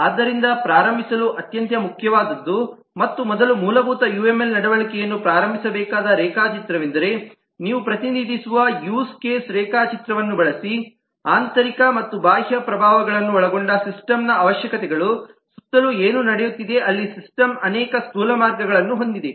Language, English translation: Kannada, so the most important possibly to start with, and the first fundamental diagram that uml behavioral has to start, is use case diagram, where you represent the requirements of a system, including the internal and external influences, what is happening around the system there many gross way